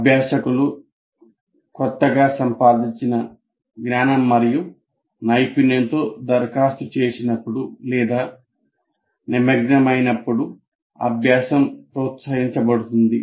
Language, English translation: Telugu, Then learning is promoted when learners apply or engage with their newly required, acquired knowledge and skill